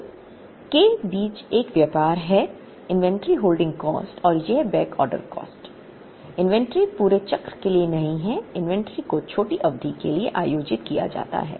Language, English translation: Hindi, So, there is a tradeoff between the inventory holding cost and this backorder cost, the inventory is not held for the entire cycle, the inventory is held for a smaller period